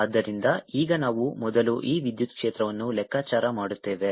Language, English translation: Kannada, so now we will calculate e electric field first